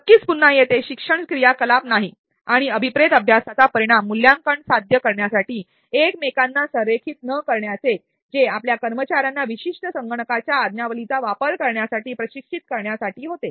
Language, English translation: Marathi, Well certainly not since again here the learning activity and assessment for not align to each other to achieve the intended learning outcome, which was to train your employees to operate a particular software